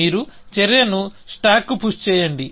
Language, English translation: Telugu, You push the action on to the stack and push